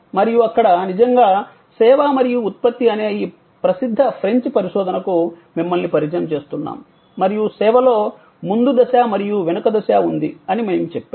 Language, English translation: Telugu, And there we actually introduce you to this famous French research on servuction, which is means service and production and we said that, there is a front stage and there is a back stage in service